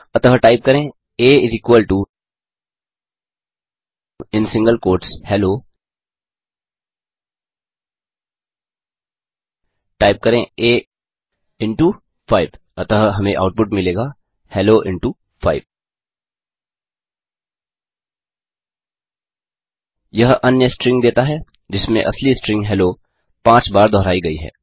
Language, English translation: Hindi, Similarly we can multiply a string with an integer So lets type a = in single quotes Hello Type a into 5 So we will get output as hello into 5 It gives another string in which the original string Hello is repeated 5 times